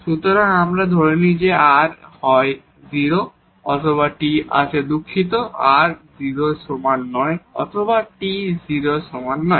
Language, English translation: Bengali, So, let us assume that either r is 0 or t is sorry, r is not equal to 0 or t is not equal to 0